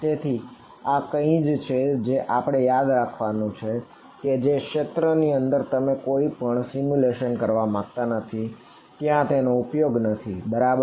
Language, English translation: Gujarati, So, this is a something that we should keep in mind for you know regions where you do not want to do any simulation where there is no use right